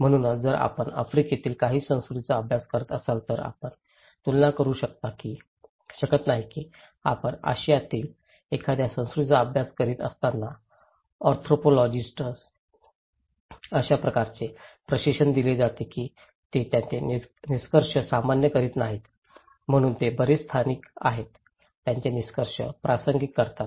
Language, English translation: Marathi, Therefore, if you are studying some culture in Africa, you cannot compare that when you are studying a culture in Asia so, the anthropologist are trained in such a way that they do not generalize their findings so, they are very localized, contextualize their findings